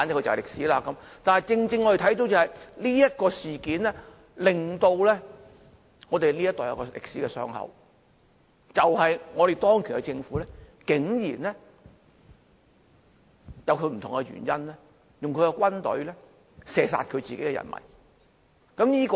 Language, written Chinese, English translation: Cantonese, 然而，我們正正看到這樁事件令我們這一代有一個歷史的傷口，就是當權的政府竟然以不同的原因，派軍隊射殺自己的人民。, However we can exactly see that it is the very incident that has inflicted a historical wound on our generation because the government in power sent in troops to shoot at its own people for various reasons